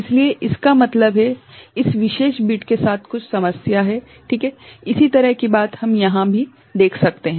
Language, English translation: Hindi, So; that means, there is some issue with this particular bit ok, similar thing we can observe over here also